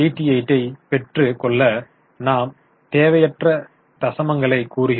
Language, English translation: Tamil, I'm just reducing the unwanted decimals